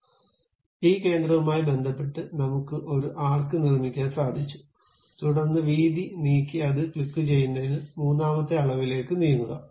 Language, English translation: Malayalam, So, with respect to this center, we have constructed an arc, then move to third dimension to decide the width moved and clicked it